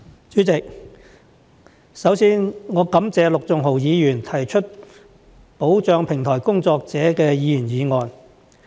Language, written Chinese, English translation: Cantonese, 主席，首先，我感謝陸頌雄議員提出保障平台工作者的議員議案。, President first and foremost I thank Mr LUK Chung - hung for proposing a Members Motion on protecting platform workers